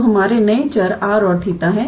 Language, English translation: Hindi, So, our new variables are r and theta